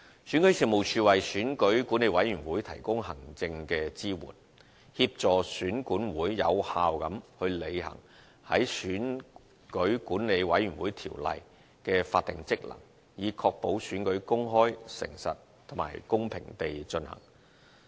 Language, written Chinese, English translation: Cantonese, 選舉事務處為選舉管理委員會提供行政支援，協助選管會有效履行在《選舉管理委員會條例》的法定職能，以確保選舉公開、誠實，以及公平地進行。, REO provides the Electoral Affairs Commission EAC with administrative support for the effective discharge of its statutory functions under the Electoral Affairs Commission Ordinance to ensure that elections are conducted openly honestly and fairly